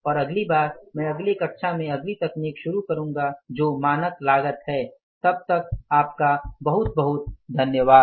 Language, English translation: Hindi, And next time I will start in the next class the next technique that is the standard costing till then thank you very much I'm going to be